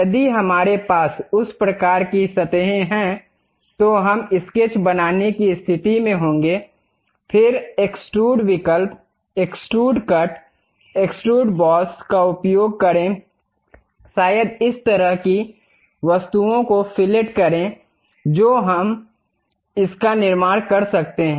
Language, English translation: Hindi, If we have that kind of surfaces, we will be in a position to draw a sketch; then use extrude options, extrude cut, extrude boss, perhaps fillet this kind of objects we can really construct it